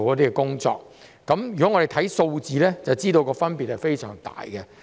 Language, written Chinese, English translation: Cantonese, 如果我們看看數字，就會知道分別非常大。, If we look at the figures we will realize that the difference is enormous